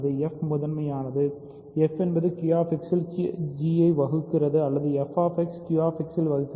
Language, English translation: Tamil, So, f is prime so, f divides g in Q X or f divides h in Q X